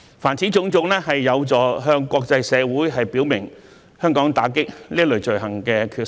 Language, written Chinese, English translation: Cantonese, 凡此種種，有助向國際社會表明香港打擊這類罪行的決心。, All these will help demonstrate to the international community Hong Kongs commitment to stem out such crimes